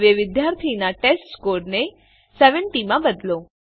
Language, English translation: Gujarati, Now, change the testScore of the student to 70